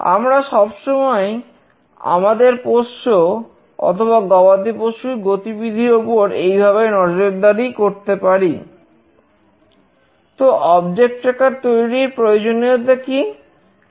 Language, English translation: Bengali, We can always track our pets or any cattle in that way